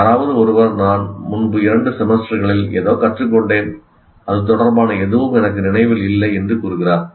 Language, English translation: Tamil, Somebody says, I have learned something in the two semesters earlier and I don't remember anything related to that